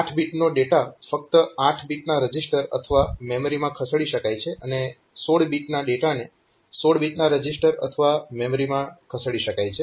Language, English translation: Gujarati, One 8 bit data can only be moved to 8 bit AH register or memory, and a 16 bit data can be move to 16 bit register or a memory, so that is obvious